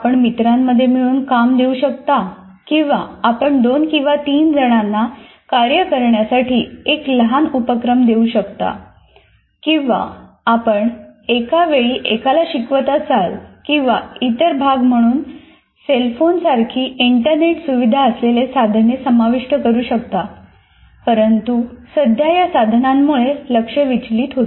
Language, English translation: Marathi, Like you introduce peer work, that means you give a small assignment to two or three people to work on or your tutoring one to one instruction or even incorporating tools like cell phones as a part of this or other devices or internet devices but presently thought typically as a distraction